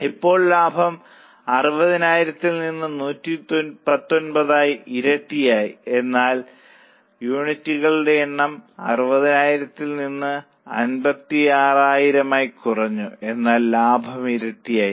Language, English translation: Malayalam, Now you will be surprised that profit has almost doubled from 60,000 to 119 but the number of units have gone down from 60,000 to 56,000 but profit has doubled